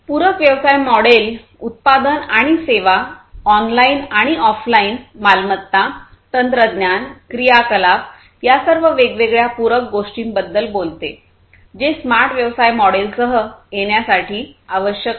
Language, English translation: Marathi, Complementary business model talks about things such as the product and services, online and offline assets, technologies, activities all these different complementary things, which are required in order to come up with the smart business model